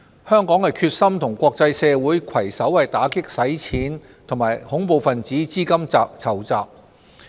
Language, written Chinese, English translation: Cantonese, 香港決心與國際社會攜手打擊洗錢及恐怖分子資金籌集。, Hong Kong is committed to combating money laundering and terrorist financing together with the international community